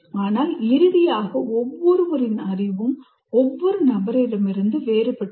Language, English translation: Tamil, But finally, your own knowledge, everybody's knowledge is different from somebody else, other person